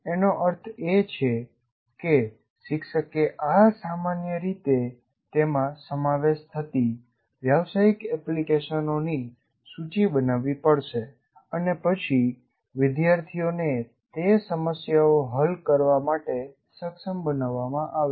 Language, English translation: Gujarati, That means the teacher will have to make a list of this commonly encountered business applications and then make the student, rather facilitate the student to solve those problems